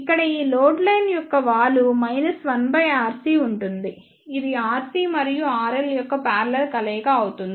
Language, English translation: Telugu, Here the slope of this load line will be minus 1 upon r c which is a parallel combination R C and R L